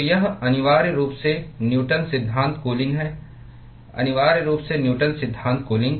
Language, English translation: Hindi, So, this is essentially Newton’s law of cooling essentially Newton’s law of cooling